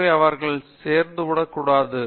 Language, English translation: Tamil, So, they should not get discouraged